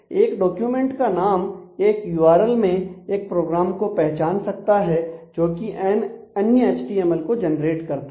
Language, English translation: Hindi, So, a document name in a URL may identify a program that is written that generate